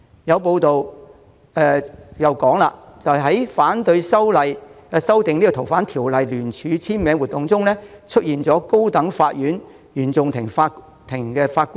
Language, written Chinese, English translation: Cantonese, 有報道指出，在聯署反對修訂《逃犯條例》的活動中，簽名人士包括一位高等法院原訟法庭法官。, As reported in a joint public petition against the amendment of the Fugitive Offenders Ordinance one of the signatories is a Judge of the Court of First Instance of the High Court